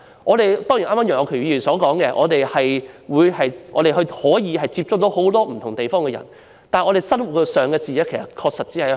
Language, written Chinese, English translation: Cantonese, 正如楊岳橋議員剛才所說，我們可以接觸到很多不同地方的人，但我們的視野確實局限於香港。, As Mr Alvin YEUNG said just now we can come into contacts with people from many different places but our vision is really limited to Hong Kong